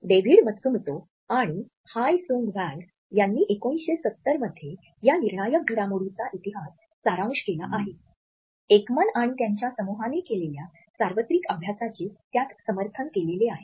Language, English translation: Marathi, David Matsumoto and Hyi Sung Hwang have summarize history of critical developments which it is started in 1970s and supported the universalities studies by Ekman and his group